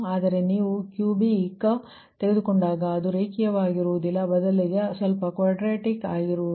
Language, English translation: Kannada, but if you take cubic, it will be not linear, it will become slightly quadratic, right